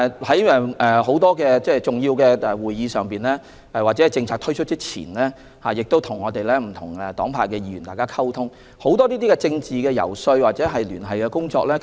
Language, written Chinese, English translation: Cantonese, 在很多重要會議上或在政策推出前，他們要與不同黨派的議員溝通，進行政治遊說或聯繫工作。, At many important meetings or before the introduction of policies they have to communicate with Members of different political parties and groupings and carry out political lobbying or liaison